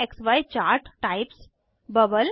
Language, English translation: Hindi, Other XY chart types 3